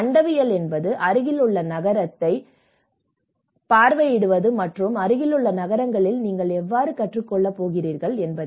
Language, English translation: Tamil, And cosmopolitaness is how visiting the nearest city, how you learn from the nearest cities